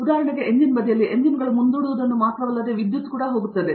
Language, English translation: Kannada, On the engine side for example, engines go along with not only propulsion, but also power